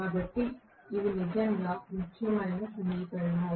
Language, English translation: Telugu, So, these are really really important equations